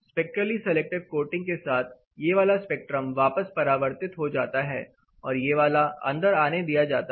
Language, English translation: Hindi, What happens with the spectrally selective coating, this particular spectrum is reflected back while this particular spectrum is allowed